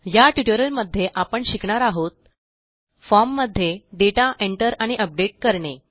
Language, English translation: Marathi, In this tutorial, we will learn how to Enter and update data in a form